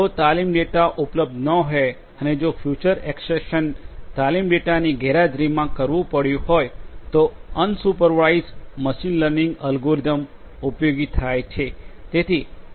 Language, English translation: Gujarati, If training data is not available and if the feature extraction will have to be done in the absence of training data unsupervised machine learning algorithms are useful